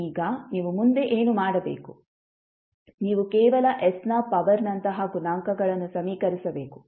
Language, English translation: Kannada, Now, what next you have to do, you have to just equate the coefficients of like powers of s